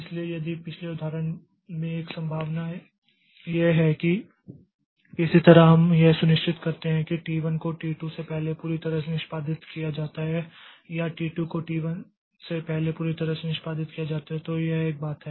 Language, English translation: Hindi, So, if one possibility in the previous example is that somehow we ensure that T1 is executed completely before T2 or T2 is executed completely before T1